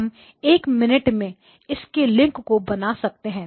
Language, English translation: Hindi, We will establish the link in a minute